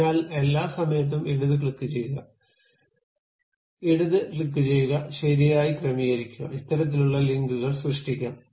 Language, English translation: Malayalam, So, all the time left click, left click, left click, properly adjusting that has created this kind of links